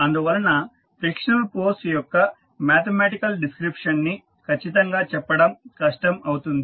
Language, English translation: Telugu, Therefore, the exact mathematical description of the frictional force is difficult